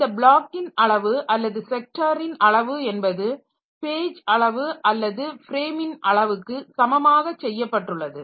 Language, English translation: Tamil, So, this block size or the sector size is made equal to the page size or frame size